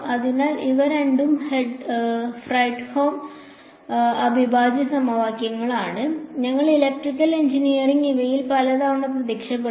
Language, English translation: Malayalam, So, these two are Fredholm integral equations and we electrical engineering comes up across these many many times